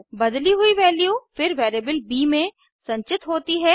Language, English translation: Hindi, The converted value is then stored in the variable b